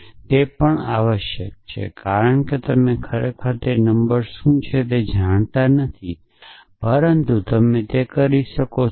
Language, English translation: Gujarati, And that is even essentially, because you may naught really know what that number is, but you can do that